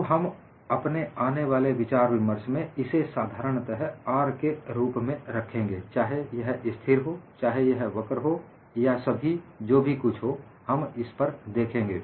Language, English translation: Hindi, So, in all our future discussions, we will simply keep this as R; whether it is constant, whether it is a curve all that, we look at it